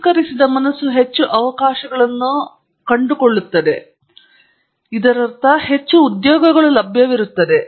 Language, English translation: Kannada, A refined mind will more opportunities and therefore find, I mean more jobs available for it